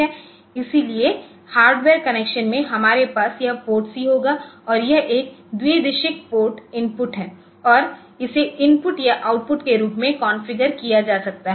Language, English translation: Hindi, So, in the hardware connection so, we will have this PORTC and is a bidirectional port input, and it can be configured as input or output